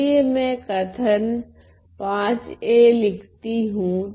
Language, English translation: Hindi, So, let me call this V